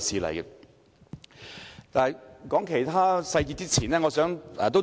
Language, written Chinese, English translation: Cantonese, 談論其他細節之前，我想提出一點。, Before going into other details I would like to raise one point